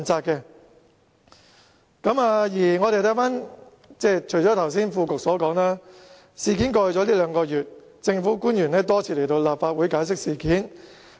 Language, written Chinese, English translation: Cantonese, 除了副局長剛才所說，在事件發生後的兩個月，政府官員已多次來到立法會解釋。, Aside from what the Under Secretary has said just now government officials have come to the Legislative Council to explain the incident for many times in the two months after the occurrence of the incident